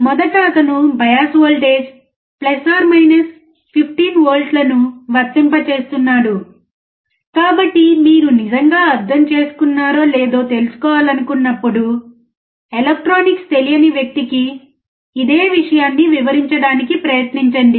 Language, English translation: Telugu, First he is applying the bias voltages + 15 So, when you really want to know whether you have understood or not, try to explain the same thing to a person who does not know electronics